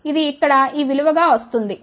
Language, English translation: Telugu, So, that comes out to be this value over here